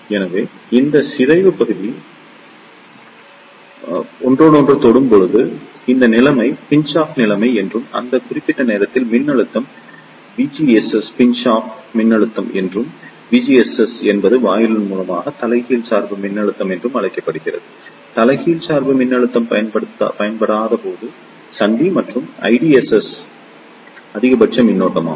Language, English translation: Tamil, So, the situation when these depletion region touches each other this situation is known as the Pinch off situation and the voltage V GS at that particular moment is known as the Pinch off voltage and V GS is the reverse bias voltage along the gate to source junction and I DSS is the maximum current when no reverse bias voltage is applied